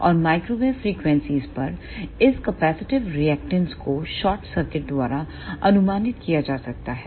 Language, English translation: Hindi, And at microwave frequencies this capacitive reactance can be approximated by a short circuit